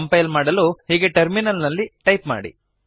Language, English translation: Kannada, To compile the code, type the following on the terminal